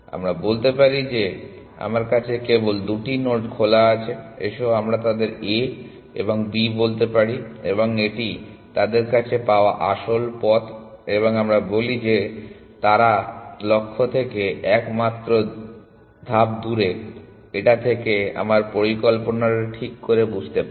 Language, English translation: Bengali, Let us say I have only two nodes in open let us call them A and let us call them B and let say this is the actual path found to them and let us say that they are just one step away from the goal this just to illustrate the idea